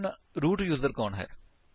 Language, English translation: Punjabi, Now who is a root user